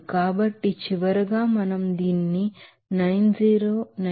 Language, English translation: Telugu, So, finally we can write it as a bar as 90 901